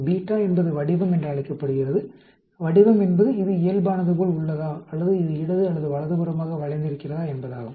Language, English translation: Tamil, Beta is called the shape, shape means whether it is like a normal or whether it is skewed left or right